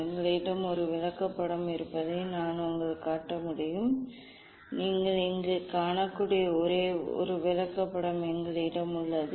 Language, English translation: Tamil, that I can show you we have a chart we have a chart basically; we have a chart you can see here